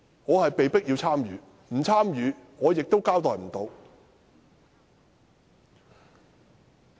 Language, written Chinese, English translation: Cantonese, 我是被迫參與的，若不參與，我無法交代。, I am forced to do so; otherwise I cannot justify myself